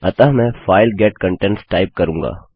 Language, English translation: Hindi, So, Ill type file get contents